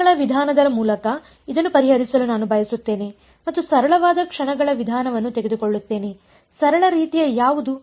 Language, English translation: Kannada, I want to solve this by something like method of moments and will take the simplest kind of method of moments; what is the simplest kind